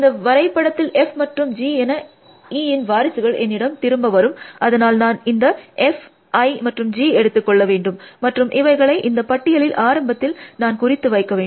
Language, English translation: Tamil, So, what are the successors of E returns to me in this graph F and G, so I must take this F, I must take this G, and append and put it at the head of this list